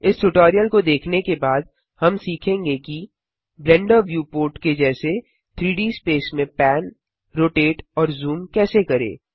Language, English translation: Hindi, After watching this tutorial, we shall learn how to pan, rotate and zoom within a 3D space such as the Blender viewport